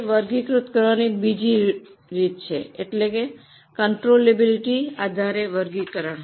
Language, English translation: Gujarati, There is another way of classifying that is classification based on controllability